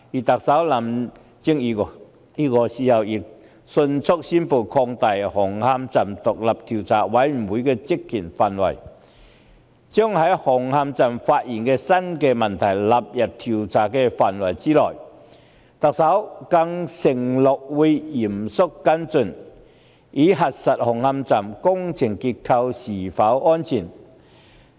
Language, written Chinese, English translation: Cantonese, 特首林鄭月娥亦迅速宣布擴大紅磡站獨立調查委員會的職權範圍，把在紅磡站發現的新問題納入調查範圍之內。特首更承諾會嚴肅跟進，以核實紅磡站工程結構是否安全。, Chief Executive Carrie LAM promptly expanded the terms of reference of the Commission to cover the newly identified issues at Hung Hom Station and undertook to follow up the incident seriously in order to verify the structural safety of Hung Hom Station